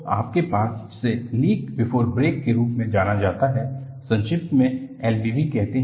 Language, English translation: Hindi, So, you have, what is known as Leak Before Break, which is abbreviated as L B B